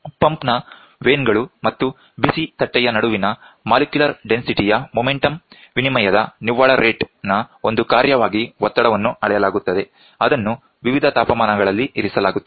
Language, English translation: Kannada, The pressure is measured as a function of net rate of change of momentum of molecular density between the vanes of a pump and the hot plate at which are kept at different temperatures